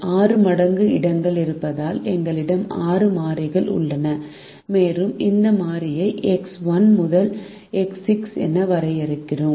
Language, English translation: Tamil, since there are six times slots, we have six variables and we define this variable as x one to x six